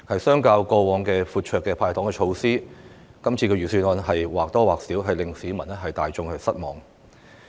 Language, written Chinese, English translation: Cantonese, 相較於過往闊綽的"派糖"措施，這份預算案或多或少會令市民大眾失望。, In contrast to the generous candies handed out in the past this Budget has more or less disappointed members of the public